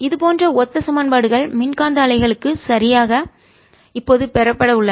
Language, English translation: Tamil, exactly similar equations are now going to be obtained for ah electromagnetic waves